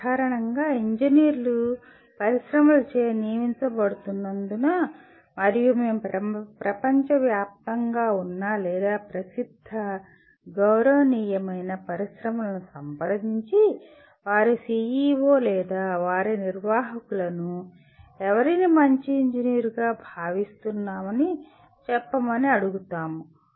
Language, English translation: Telugu, It is generally because engineers dominantly are employed by industries and we go and consult really the top worldwide or well known respected industries and ask their CEO’s or their managers to say whom do they consider somebody as good engineer